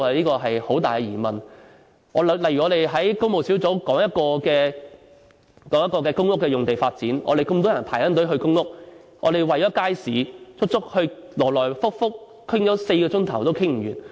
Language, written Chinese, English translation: Cantonese, 舉例來說，我們在工務小組委員會討論公屋用地發展，有那麼多人排隊輪候公屋，但我們為了街市問題，來回討論了4小時也討論不完。, One example is our discussion on land development for public housing in the Public Works Subcommittee . Many people are still waiting for public rental housing units but we could not even finish our discussion after debating for four hours simply because of the market issue